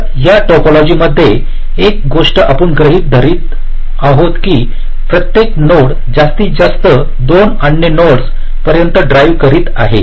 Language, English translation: Marathi, so in this connection topology, so one thing, we are assuming that every node is driving up to maximum two other nodes